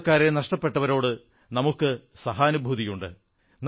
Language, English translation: Malayalam, Our sympathies are with those families who lost their loved ones